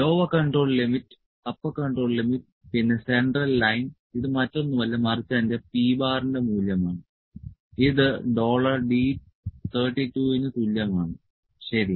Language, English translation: Malayalam, Lower control limit upper control limit then centerline central line central line is nothing, but my value of p bar this is equal to dollar d, dollar across the d 32, ok